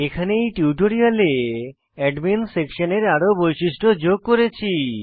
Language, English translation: Bengali, Here, in this tutorial we have added more functionalities to the Admin Section